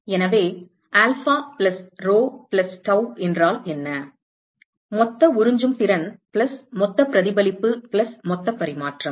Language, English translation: Tamil, So, what is alpha plus rho plus tau, total absorptivity plus total reflectivity plus total transmittivity